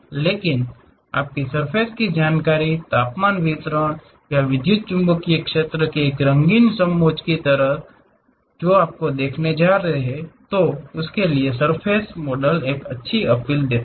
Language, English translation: Hindi, But, your surface information like a colorful contour of temperature distribution or electromagnetic field what you are going to see, that gives a nice appeal by this surface models